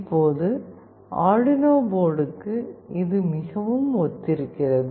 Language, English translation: Tamil, Now, for Arduino board it is very similar